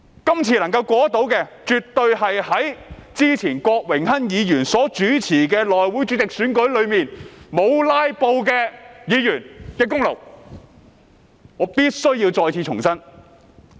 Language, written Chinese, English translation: Cantonese, 今次法案若能夠通過，絕對是在之前郭榮鏗議員所主持的內務委員會主席選舉中沒有"拉布"的議員的功勞，這一點我必須重申。, If this Bill is passed the credit should definitely go to those Members who did not filibuster in the election of House Committee Chairman which was previously presided over by Mr Dennis KWOK . I have to reiterate this point